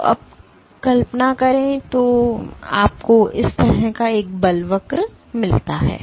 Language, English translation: Hindi, So, now, imagine you get a force curve like this